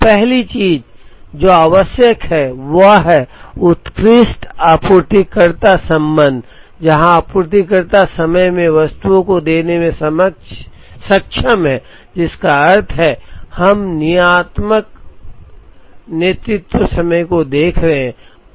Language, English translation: Hindi, So, the first thing that is required is excellent supplier relationship, where the supplier is able to give items in time which means, we are looking at deterministic lead time